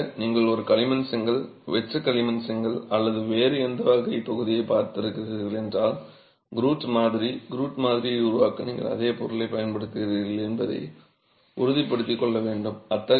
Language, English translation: Tamil, Of course if you are using clay brick, hollow clay brick or any other type of block, you have to be sure that you are using a similar material to create the grout sample, grout specimen to replicate the typical absorption that you get in such a material